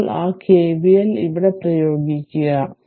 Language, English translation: Malayalam, So, apply K V L in this mesh